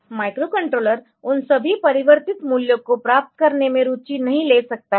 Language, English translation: Hindi, So, the micro controller may not be interested in getting all those converted values